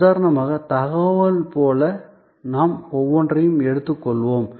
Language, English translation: Tamil, Let us take each one, like for example information